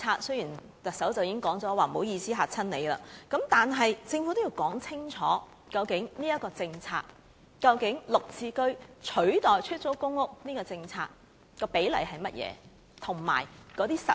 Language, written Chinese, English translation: Cantonese, 雖然行政長官已表示不好意思，把大家嚇着了，但政府仍要說清楚這一項政策，究竟在"綠置居"取代出租公屋的政策下，比例為何，以及會如何實行？, Although the Chief Executive has apologized for causing anxiety in society the Government has yet to make this policy clear . Under the policy of replacing PRH with GSH what is the ratio and how will it be implemented?